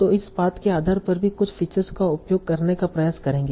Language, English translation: Hindi, So now you will try to use certain features based on this path also